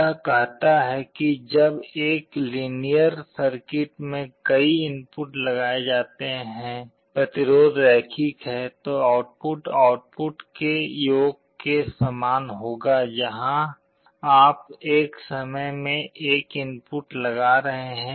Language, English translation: Hindi, It says that when multiple inputs are applied to a linear circuit; resistance is linear, then the output will be the same as the sum of the outputs where you are applying the inputs one at a time